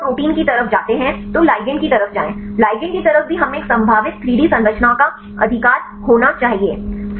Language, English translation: Hindi, So, if you go the proteins side is fine, then go to ligand side, ligand side also we need to have a probable 3D structure right